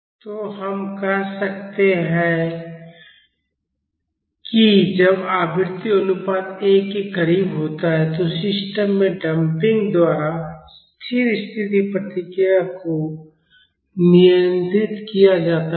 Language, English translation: Hindi, So, we can say that when the frequency ratio is close to 1, the steady state response is controlled by the damping in the system